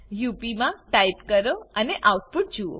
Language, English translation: Gujarati, Type in UP and see the output